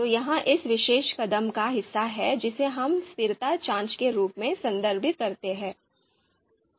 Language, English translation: Hindi, So that is part of this particular step that is which we refer as consistency check